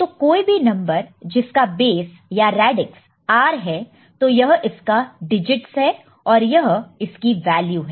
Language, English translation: Hindi, So, for any number with base or radix r so this is the digits and this is the corresponding value